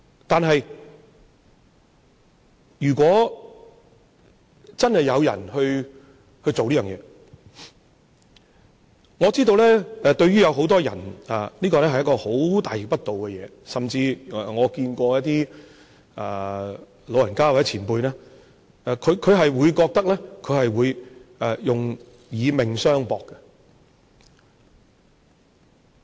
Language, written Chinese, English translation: Cantonese, 但是，如果真有人做這件事，我知道對於很多人，這是一件非常大逆不道的事，甚至有些老人家或前輩表示，他們會覺得他們會以命相搏。, On the other hand if there are people who really advocate this I know many would take it as a very treacherous matter . Some elderly people or predecessors have even said that they feel the urge to fight against it with their lives